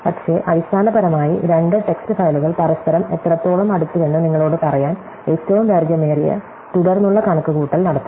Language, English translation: Malayalam, But, basically it is doing the longest common subsequence calculation to tell you, how close two text files are to each other